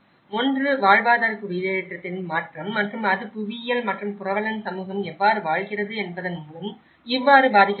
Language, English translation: Tamil, One is the change in the livelihood settlement and how it is influenced by the geography and the way host community is lived